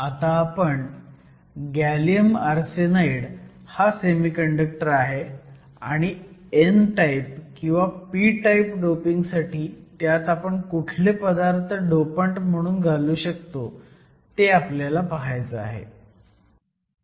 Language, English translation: Marathi, So, the semiconductor we have is gallium arsenide and we want to know what sort of elements could be added as dopants to gallium arsenide to make it p or n type